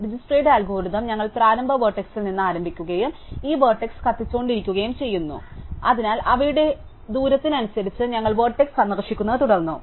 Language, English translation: Malayalam, So, in Dijskstra's algorithm, we start with the initial vertex and we keep burning these vertices, right, so we keep visiting vertices according to their distance